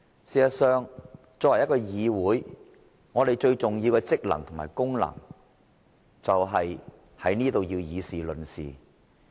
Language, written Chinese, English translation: Cantonese, 事實上，作為議會，立法會最重要的職能是議事論事。, In fact the most important duty of the Legislative Council as a parliamentary assembly is to discuss and deliberate on issues